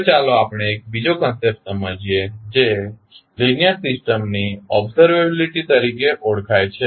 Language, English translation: Gujarati, Now, let us understand another concept called observability of the linear system